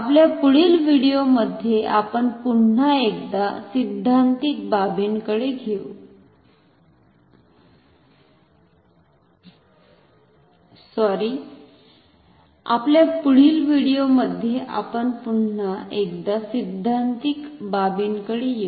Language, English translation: Marathi, We will come back to theoretical aspects once again in our next video